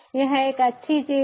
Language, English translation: Hindi, it is a good thing